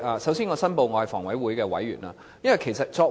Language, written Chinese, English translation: Cantonese, 首先，我申報我是房委會委員。, First I have to declare that I am a member of HA